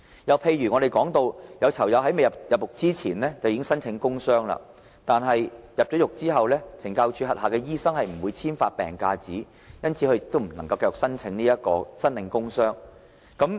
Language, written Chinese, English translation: Cantonese, 又譬如我們說，有囚友在入獄前已申請工傷病假，但在入獄後因為懲教署轄下的醫生不會簽發病假紙，便不能繼續申領工傷病假。, Another example is that some inmates have applied for absence from duty due to work injury before going to jail . However as medical officers working under CSD do not issue sick leave certificates inmates cannot continue enjoying such absence from duty once they are imprisoned